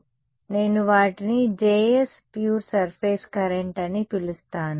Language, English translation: Telugu, So, I am going to I can call those as J s pure surface current J s